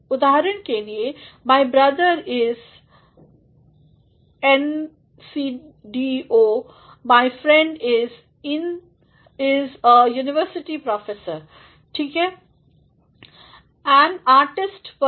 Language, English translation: Hindi, For example, my brother is an SDO, my friend is a university professor fine